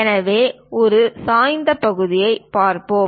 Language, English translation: Tamil, So, let us look at an inclined section